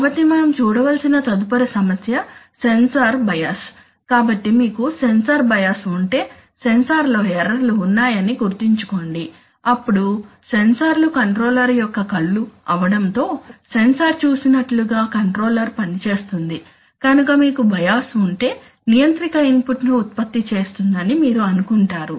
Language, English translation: Telugu, So next issue that we should look at is sensor bias, so you know remember that if you have a sensor bias, sensor has errors then sensors are the eyes of the controller, so whatever the sensor sees that the controller simply works on that, so if you have bias you will think that is the controller will produce an input